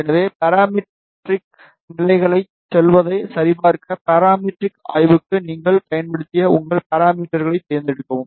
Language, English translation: Tamil, So, to check that go to parametric levels, select your parameters, which you have used for parametric study